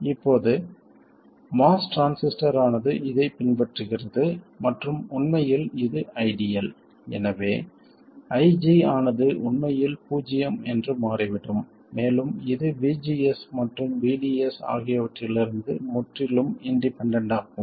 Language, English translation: Tamil, Now, it turns out that the mass transistor follows this and in fact it is quite ideal, it turns out that IG is actually zero and it is completely independent of VGS and VDS and VDS